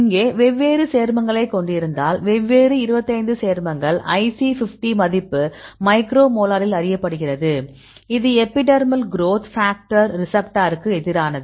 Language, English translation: Tamil, So, here we have the different compounds; these are the different 25 compounds IC50 value are known in micromolar; it is against the epidermal growth factor receptor